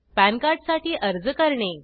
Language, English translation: Marathi, This will be printed on the PAN card